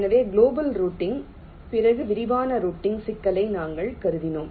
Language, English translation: Tamil, so, after global routing, we consider the problem of detailed routing